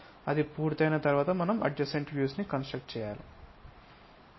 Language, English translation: Telugu, Once it is done the adjacent views we will constructed